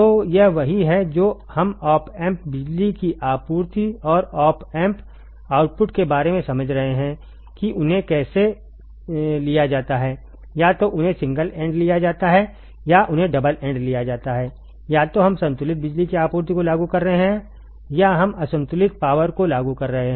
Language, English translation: Hindi, So, this is the what we are understanding about the op amps power supply and op amp outputs how they are taken either they are taken single ended or they are taken double ended either we are applying balanced power supply or we are applying unbalanced power supply ok